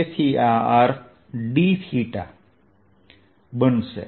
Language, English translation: Gujarati, so this is going to be d